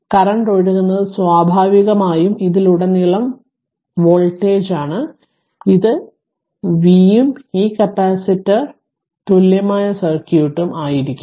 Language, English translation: Malayalam, So, naturally ah only current flowing is i naturally voltage across this also will be v right and this capacitor is Ceq equivalent circuit